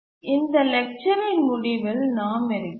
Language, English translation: Tamil, We are at the end of this lecture